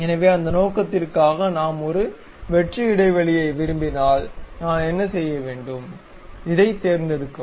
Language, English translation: Tamil, So, for that purpose, if we would like to have a hollow gap, what I have to do, pick this one